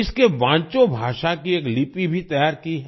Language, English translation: Hindi, A script of Vancho language has also been prepared